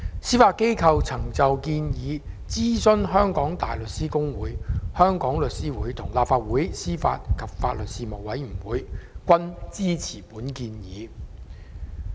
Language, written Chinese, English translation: Cantonese, 司法機構曾就建議諮詢香港大律師公會、香港律師會及立法會司法及法律事務委員會，他們均支持建議。, The Judiciary has consulted the Hong Kong Bar Association The Law Society of Hong Kong and the Legislative Council Panel on Administration of Justice and Legal Services on the proposals and all of them are supportive